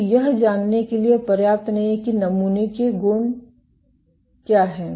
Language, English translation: Hindi, So, this is not enough to know what is the sample property